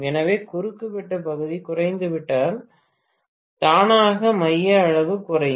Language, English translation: Tamil, So if the cross sectional area decreases, automatically the core size will decrease